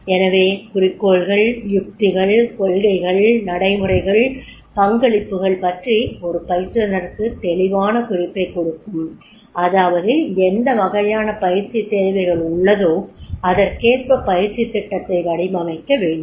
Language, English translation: Tamil, So the objective, the goals, the strategies, the policies, the procedures, the roles and that will give a clear indication to a trainer that is the what type of the training needs are there and if this type of training needs are there, then they have to design the training program accordingly